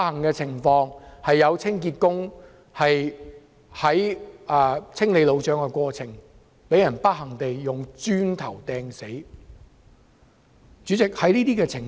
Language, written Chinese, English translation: Cantonese, 很不幸，有清潔工人在清理路障的過程中，被磚頭擲中而死。, A cleaner unfortunately died after being hit by a brick while clearing roadblocks